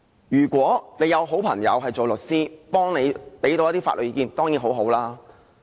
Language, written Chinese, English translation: Cantonese, 如果你有好朋友做律師能夠提供法律意見當然很好。, It is certainly good if you have a lawyer friend who is able to offer some legal advice